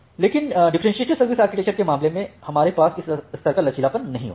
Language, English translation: Hindi, But in case of differentiated service architecture, we do not have that level of flexibility